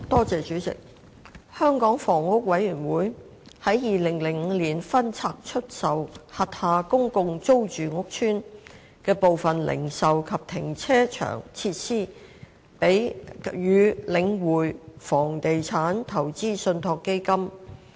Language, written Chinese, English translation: Cantonese, 主席，香港房屋委員會於2005年分拆出售轄下公共租住屋邨的部分零售及停車場設施予領匯房地產投資信託基金。, President in 2005 the Hong Kong Housing Authority HA divested certain retail and car parking facilities of its public rental housing PRH estates to The Link Real Estate Investment Trust The Link